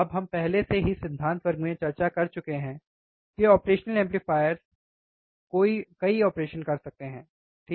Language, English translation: Hindi, Now we have already discussed in the theory class that operational amplifiers can do several operations, right